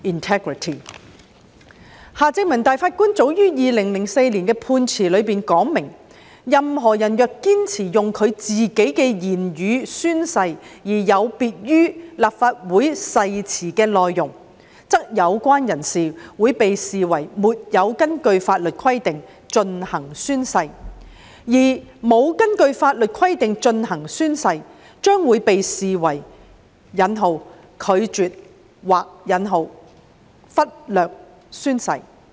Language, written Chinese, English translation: Cantonese, 法官夏正民早在2004年的判詞中明言，任何人若堅持用自己的言語宣誓，而有別於立法會誓詞的內容，則有關人士會被視為沒有根據法律規定進行宣誓，而沒有根據法律規定進行宣誓，將會被視為"拒絕"或"忽略"宣誓。, In his judgment made as early as 2004 Mr Justice Michael John HARTMANN stated clearly that if a person insisted on taking an oath in accordance with his or her own wording without adhering to the content of the Legislative Council oath the person would be held not to have taken an oath in accordance with law